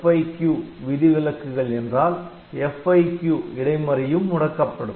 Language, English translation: Tamil, So, and if the exception is caused by FIQ then the FIQ interrupts are also disabled